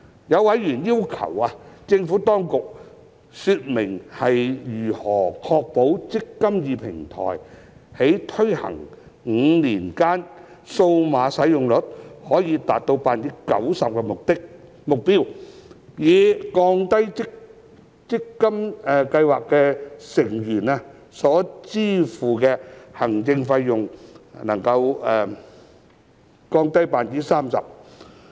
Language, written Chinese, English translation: Cantonese, 有委員要求政府當局說明如何確保"積金易"平台在推行5年間數碼使用率可達 90% 的目標，使計劃成員所支付的行政費得以降低 30%。, Some members have requested the Administration to expound on how to ensure that the target of a 90 % digital take - up rate can be achieved in five years after implementation of the eMPF Platform so that the administration fee payable by scheme members can be reduced by 30 %